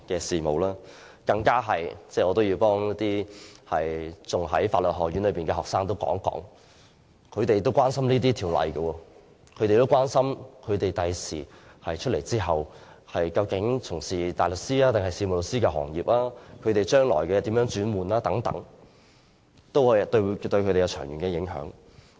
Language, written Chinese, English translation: Cantonese, 此外，我也要替仍在法律學院修讀的學生說話，他們也關心這些法例，關心在畢業後應該加入大律師抑或事務律師的行業，以及將來如何轉業等，全部都對他們有長遠影響。, Furthermore I have to speak for students who are still studying in the law school . They are concerned about this legislation and whether they should engaged in the practice of a barrister or a solicitor after graduation as well as how they can change to different sector in future . All these will have a far - reaching influence on them